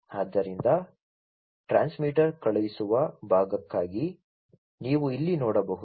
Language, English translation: Kannada, So, for the transmitter sending part, you know, this is as you can see over here